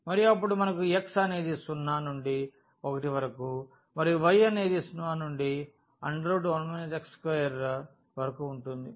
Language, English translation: Telugu, And, then we have x from 0 to 1 and y from 0 to 1 by square root 1 minus x square